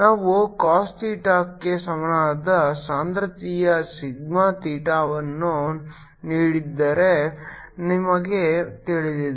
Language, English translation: Kannada, we know if we have given a density sigma theta equal to cos theta